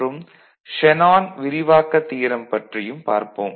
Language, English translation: Tamil, And we shall also have a look at Shanon’s expansion theorem